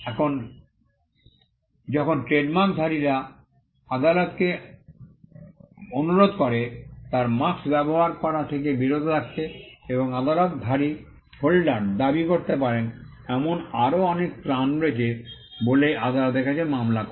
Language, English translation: Bengali, Now when the trademark holder files a case before the court of law asking the court, to stop the person from using his mark and there are various other reliefs that the trademark holder can claim